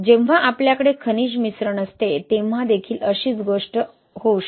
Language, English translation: Marathi, Similar thing also can happen when you have mineral admixtures, right